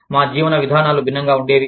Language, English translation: Telugu, Our ways of living, were different